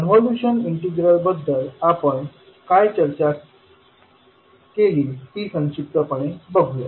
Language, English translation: Marathi, So this is what we discussed about the convolution integral